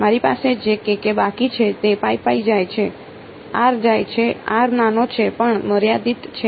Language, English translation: Gujarati, What I am left with k k goes away pi pi goes away r goes away, r is small but finite